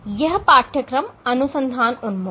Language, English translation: Hindi, This course is research oriented